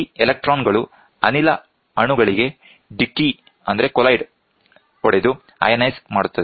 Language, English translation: Kannada, These electrons collide with the gas molecules and ionize them